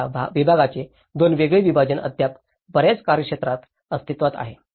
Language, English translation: Marathi, So, this is the two different separation of these departments are still existing in many of the jurisdictions